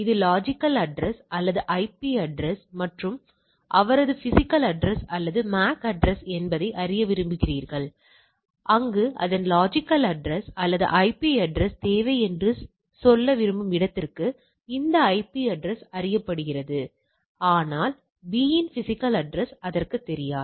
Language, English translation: Tamil, You when station a this is b you want to send to a station a wants know it is logical address or IP address and his physical address or MAC address, where as for the where it wants to say it needs its logical address or the IP address these IP address is known to this, but b’s physical address is not known to it